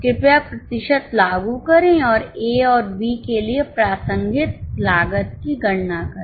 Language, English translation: Hindi, Please apply the percentage and compute the relevant cost for A and B